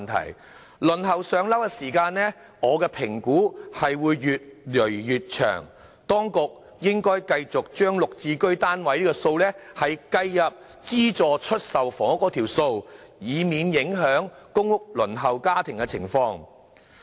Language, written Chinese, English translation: Cantonese, 我評估輪候"上樓"的時間將會越來越長，當局應該繼續把"綠置居"單位數量計入資助出售房屋數目，以免影響公屋輪候家庭的情況。, I figure that PRH waiting time will grow increasingly long . The Government should count GSH units towards the number of subsidized sale flats in order to avoid affecting the households on the PRH Waiting List